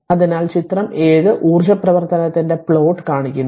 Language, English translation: Malayalam, So, figure 7 shows the plot of energy function right